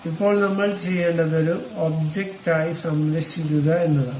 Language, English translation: Malayalam, Now, what we have to do save this one as an object